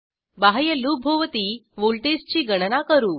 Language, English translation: Marathi, Calculate voltage around the outer loop